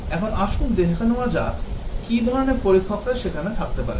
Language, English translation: Bengali, Now let us look at what are the different types of testers that can be there